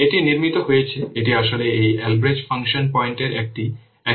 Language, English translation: Bengali, It is built on, it is actually an extension of this Albreast function points